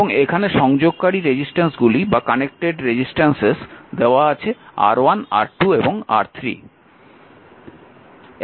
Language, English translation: Bengali, So, how do we will combine resistor R 1 through R 6